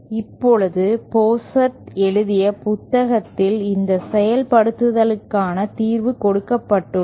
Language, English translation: Tamil, Now, in the book by Pozart, solution for this implementation is given